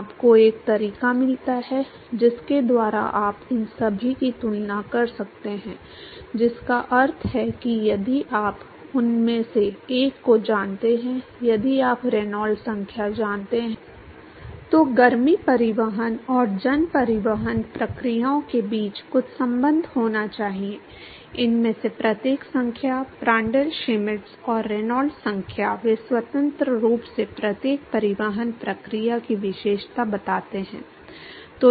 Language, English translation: Hindi, You get a way by which you can compare all these which means that if you know one of them, if you know Reynolds number there has to be some relationship between the heat transport and the mass transport processes, each of these numbers Prandtl Schmidt and Reynolds number, they independently characterize each of the transport processes